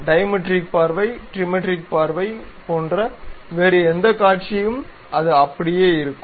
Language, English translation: Tamil, Any other view like diametric view, trimetric view, it will be in that way